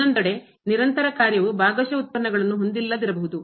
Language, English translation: Kannada, On the other hand, a continuous function may not have partial derivatives